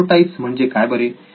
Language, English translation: Marathi, What are prototypes